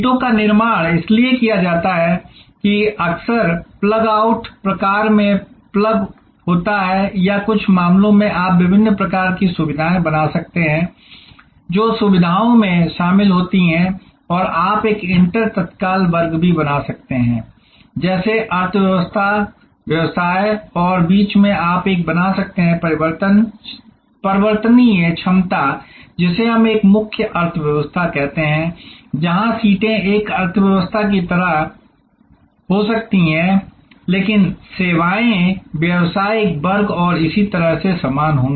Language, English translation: Hindi, The seats are so constructed there often plug in plug out type or in some cases you can create different kinds of facilities, which are add on facilities and you can even create an inter immediate class like say economy, business and in between you can create a variable capacity for, what we call a premier economy, where seats may be an economy seat, but the services will be equivalent to business class and so on